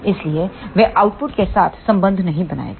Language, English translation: Hindi, So, they will not make connection with the output